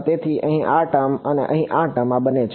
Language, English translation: Gujarati, So, this term over here and this term over here these are both